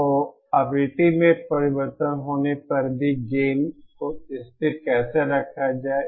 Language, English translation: Hindi, So how to keep the gain constant even when the frequency is changing